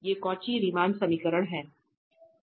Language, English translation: Hindi, These are the Cauchy Riemann equation